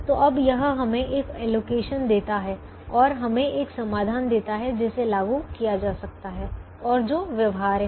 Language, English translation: Hindi, so now, this gives us an allocation, an allocation and gives us a solution which can be implemented and which is feasible